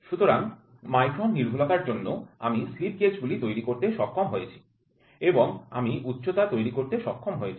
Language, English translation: Bengali, So, what is that to accuracy of micron I am able to get the slip gauges then I am able to builds the height